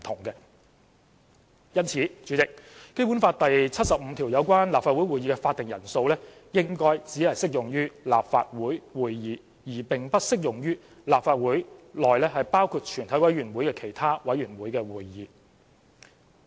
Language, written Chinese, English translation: Cantonese, 因此，《基本法》第七十五條有關立法會會議的會議法定人數應該只適用於立法會會議，而並不適用於立法會內包括全委會在內的其他委員會會議。, For this reason the requirement on the quorum of the meeting of the Legislative Council under Article 75 of the Basic Law should only be applicable to Legislative Council meetings rather than be applicable to meetings of other committees of the Legislative Council including a committee of the whole Council